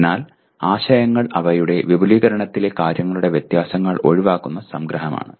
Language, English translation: Malayalam, So the concepts are abstracts in that they omit the differences of things in their extension